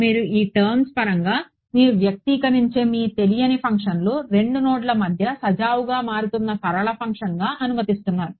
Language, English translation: Telugu, You are allowing your unknown function which you will express in terms of these guys to be a smoothly varying linear function between the 2 nodes right